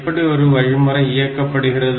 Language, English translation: Tamil, How an instruction will be executed